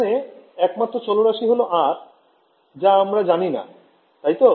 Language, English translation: Bengali, So, this only variable here is R, which I do not know right